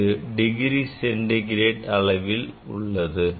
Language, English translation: Tamil, this is a in degree centigrade